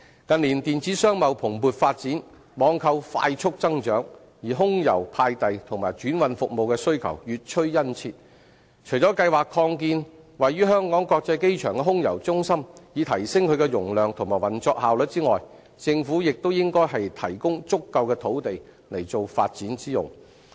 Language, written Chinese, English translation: Cantonese, 近年電子商貿蓬勃發展，網購快速增長，而空郵派遞和轉運服務的需求越趨殷切，除計劃擴建位於香港國際機場的空郵中心，以提升其容量及運作效率外，政府亦應提供足夠的土地以作發展之用。, In recent years the booming growth of e - commerce and online trading has generated great demand for air mail and transhipment services . Apart from planning to expand the Air Mail Centre at the Hong Kong International Airport in order to enhance its capacity and operating efficiency the Government should also provide an adequate supply of land for development